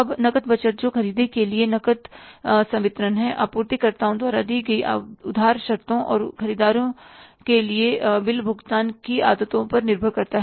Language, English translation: Hindi, Now, cash budget, that is a cash disbursements for the purchases depend on the credit terms extended by the suppliers and build payment habits of the buyers